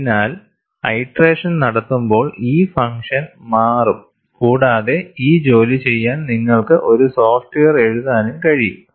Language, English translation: Malayalam, So, this function also will change when you do the iterative process and it is possible to write software to do this job